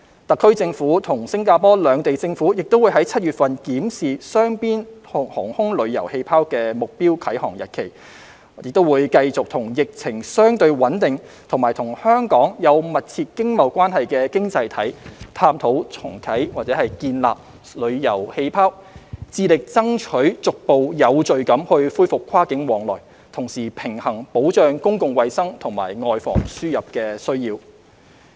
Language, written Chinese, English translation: Cantonese, 特區政府與新加坡兩地政府亦會於7月份檢視雙邊"航空旅遊氣泡"的目標啟航日期，亦會繼續與疫情相對穩定和與香港有密切經貿關係的經濟體探討建立"旅遊氣泡"，致力爭取逐步有序地恢復跨境往來，同時平衡保障公共衞生和"外防輸入"的需要。, The SAR Government and the Singaporean government will also review the target date for launching the bilateral air travel bubble in July and will continue to explore with economies where the epidemic is relatively stable and which have close economic and trade ties with Hong Kong to re - launch or establish travel bubbles with a view to endeavouring to resume cross - border travel in a gradual and orderly manner while balancing the need to protect public health and prevent imported infections